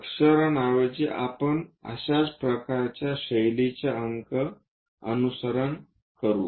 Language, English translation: Marathi, Instead of letters if we are using numbers similar kind of style we will follow